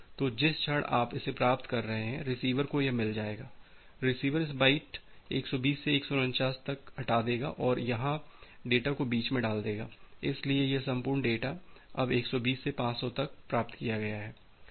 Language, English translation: Hindi, So, the moment you are getting this the receiver will get this, receiver will can put receiver will just chop out this byte from 120 to 149 and put the data here in between; so, this entire data now from 120 to 500 that has been received